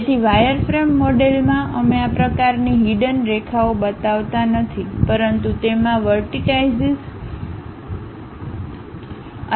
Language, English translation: Gujarati, So, in wireframe model we do not show this kind of hidden lines, but it contains vertices V and these edges